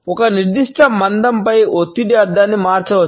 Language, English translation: Telugu, Stress on a particular word may alter the meaning